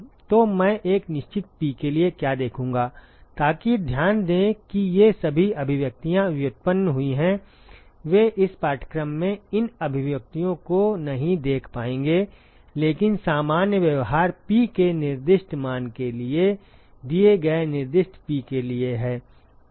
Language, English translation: Hindi, So, what I would see for a fixed P so note that these expressions have all been derived they are not going to look at these expressions in this course, but the general behavior is for a given specified P for a specified value of P